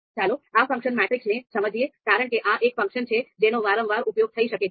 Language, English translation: Gujarati, So let us understand this function as well because this is one function that we might be using quite often